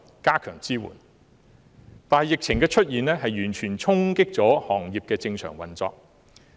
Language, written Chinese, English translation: Cantonese, 但是，疫情的出現完全衝擊了行業的正常運作。, However the outbreak of the epidemic has dealt a great blow to the normal operation of the industry